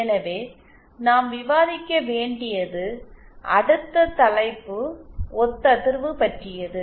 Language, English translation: Tamil, So, then the next topic that we shall be discussing is about resonance